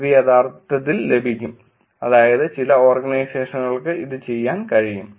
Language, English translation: Malayalam, It can actually get, meaning some organizations also can do this